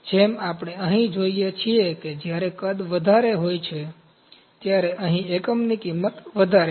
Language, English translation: Gujarati, As we see here when the volume is higher, the unit cost is higher here